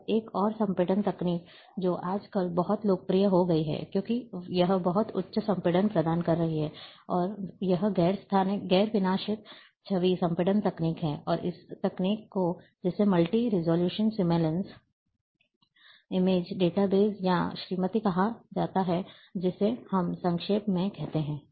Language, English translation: Hindi, Now a one more a, a, compression techniques, which has become very, very popular nowadays, because it provides very high compression, one, and it is non destructed image compression technique, and that technique which is called Multi Resolution Seamless Image data base, or MrSID in short we call